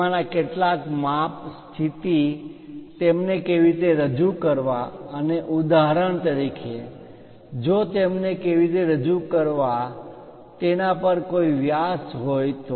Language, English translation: Gujarati, Some of them about size, position, how to represent them and for example, if there are any diameters how to represent them